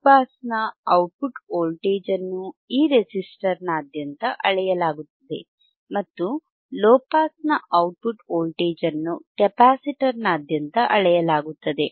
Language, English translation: Kannada, The output voltage across the high pass was measured across this resistor, and output voltage across low pass was measured across the capacitor, right